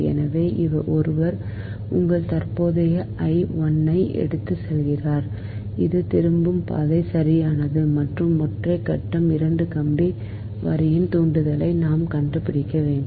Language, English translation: Tamil, so one is carrying your current i, one that is going living into this and this is return path actually right, and we have to find out that inductance of a single phase two wire line